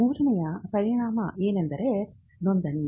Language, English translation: Kannada, The third function is a registration